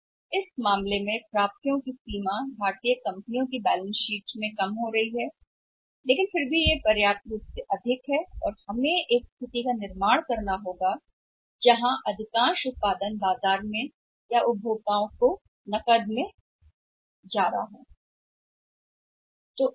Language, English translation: Hindi, So, in that case the extent of receivables is going down in the balance sheets of Indian companies also but still it is sufficient for sufficiently high and we will have to create a situation where most of the production is going to the market or to the consumers on cash